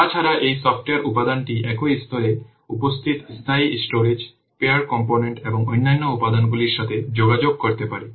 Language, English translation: Bengali, Besides that this software component may communicate with the persistent storage, pure component and other components present in the same layer